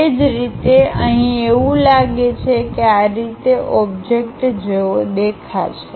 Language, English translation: Gujarati, Similarly, here it looks like this is the way the object might look like